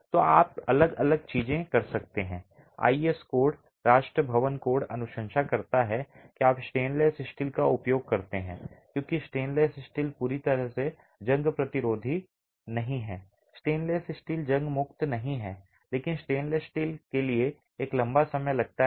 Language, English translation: Hindi, The IS code, the National Building Code recommends that you use stainless steel because stainless steel is not completely corrosion resistant, stainless steel is not corrosion free but it takes a longer time for stainless steel to corrode